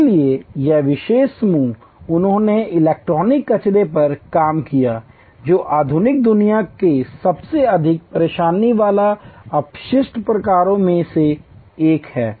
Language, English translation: Hindi, So, this particular group they worked on electronic waste, one of the most troublesome waste types of modern world